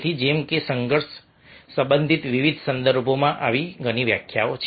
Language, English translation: Gujarati, there are several such definitions in different contexts related to conflict